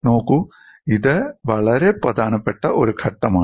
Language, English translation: Malayalam, See, this is a very important step